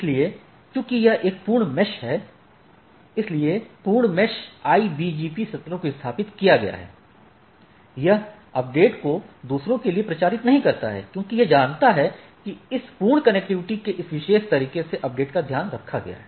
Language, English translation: Hindi, So, as this is a full mesh, so the full mesh IBGP sessions have been establish it does not propagate to the update to the other because, it knows that it the update has been taken care by this full this particular way of connectivity